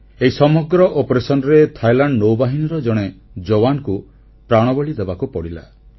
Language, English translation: Odia, During the operation, a sailor from Thailand Navy sacrificed his life